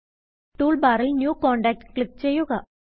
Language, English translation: Malayalam, In the toolbar, click New Contact